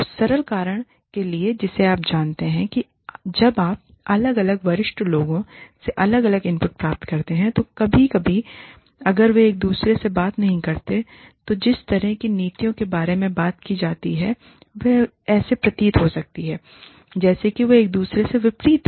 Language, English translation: Hindi, For the simple reason that, you know, when you get different inputs from different senior people, occasionally, if they do not talk to each other, the way the policies are worded, they may sound as if, they are contradicting each other